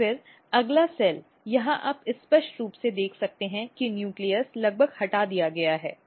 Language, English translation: Hindi, And then the just next cell here you can clearly see that nucleus is almost removed